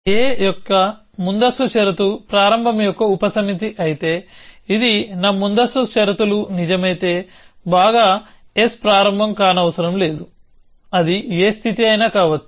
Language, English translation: Telugu, If precondition of a is a subset of start, it is just like saying that if my preconditions are true, then well s does not have to be start it can be any state